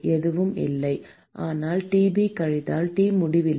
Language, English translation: Tamil, is nothing, but Tb minus T infinity